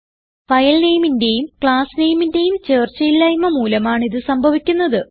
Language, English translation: Malayalam, It happens due to a mismatch of file name and class name